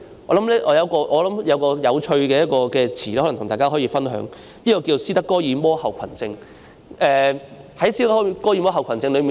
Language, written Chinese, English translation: Cantonese, 我想起一個有趣的狀況，想跟大家分享，就是斯德哥爾摩症候群。, I thought of an interesting condition which I wish to share with Honourable colleagues . It is the Stockholm Syndrome